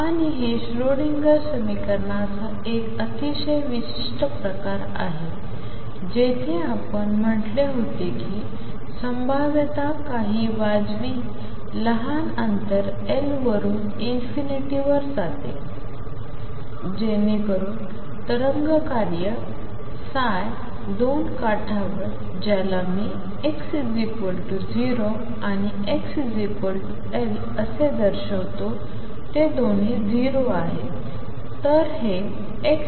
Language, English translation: Marathi, And this was a very specific kind of Schrodinger equation where we had said that the potential goes to infinity at some reasonable small distance L so that the wave function psi at the two edges which I denote as x equals 0 and x equals L they are both 0